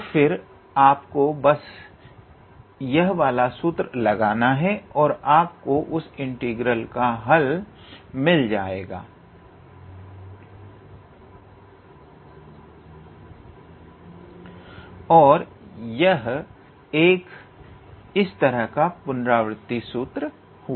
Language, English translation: Hindi, So, and then you just apply this formula, this one here and that will give you the required answer for that particular integral and this is one such iterative formula